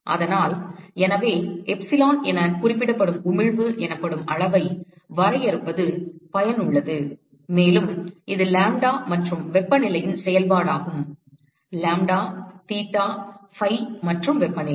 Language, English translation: Tamil, So the; So, therefore, it is useful to define a quantity called emissivity which is represented as epsilon and again it is a function of lambda and temperature; lambda, theta, phi and temperature